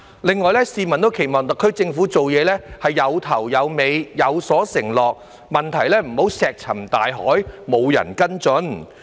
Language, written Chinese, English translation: Cantonese, 另外，市民亦期望特區政府做事有始有終，有所承諾，不要讓問題石沉大海，沒有人跟進。, In addition they expect the SAR Government to follow through with its actions and make promises instead of letting problems go unheard without any follow - up